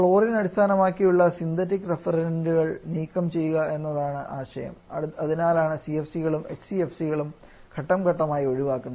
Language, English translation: Malayalam, The ideas to remove chlorine based a synthetic refrigerant that is why CFC and HCFC is being faced out